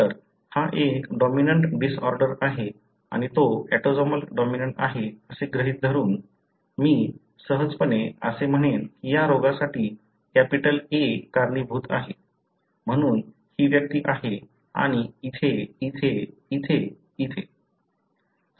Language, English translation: Marathi, So, assuming it is a dominant disorder and it is autosomal dominant, I would easily say that the capital A causes this disease, therefore this individual is this and here, here, here, here, here